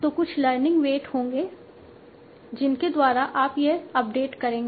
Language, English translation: Hindi, So there will be some learning rates by which you will do this update